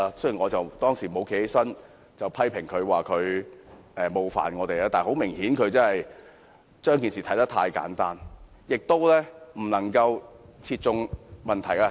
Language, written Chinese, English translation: Cantonese, 雖然我沒有在他發言時站起來批評他冒犯我，但很明顯，他把事情看得太簡單，而他的說法亦未能切中問題的核心。, I did not stand up to criticize him for offending me while he was speaking but it was clear that his view of the matter was too simplistic and he failed to get to the heart of the matter